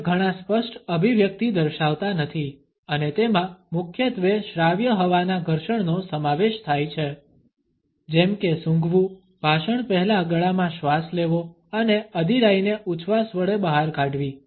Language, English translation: Gujarati, Many other show no clear articulation and consists mainly of audible air frictions such as a sniffle a pre speech pharyngeal ingression or an egression of impatience